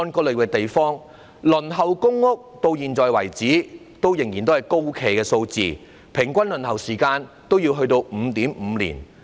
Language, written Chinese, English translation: Cantonese, 截至目前，輪候公屋的人數仍然高企，輪候平均需時 5.5 年。, At present the number of people waiting for public rental housing remains very large and the average waiting time is 5.5 years